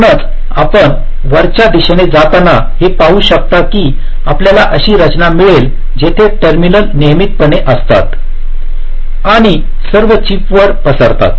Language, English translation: Marathi, so, as you can see, as you go up and up, you get a structure where the terminals are very regularly spread all across the chip